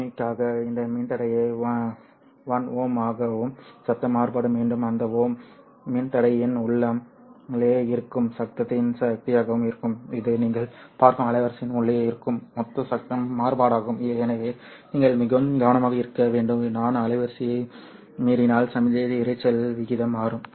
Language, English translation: Tamil, For simplicity we take this resistor to be one ome and noise variance again is the power of the noise inside that 1 oom resistor this would be the total noise variance inside the bandwidth that you are looking at so you have to be very careful if I change the bandwidth then signal to noise ratio will change so if I increase the this one the noise variance will increase so I have to be little careful as to what I am actually doing over here